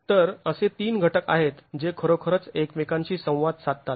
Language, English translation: Marathi, So, there are three elements that really interact with each other